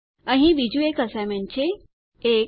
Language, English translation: Gujarati, Here is another assignment: 1